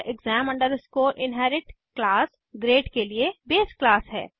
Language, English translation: Hindi, And exam inherit is the base class for class grade